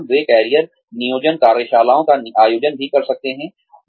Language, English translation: Hindi, They could also organize, career planning workshops